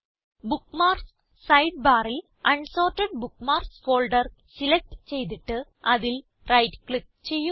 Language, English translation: Malayalam, From the Bookmarks sidebar, select the Unsorted Bookmarks folder and right click on it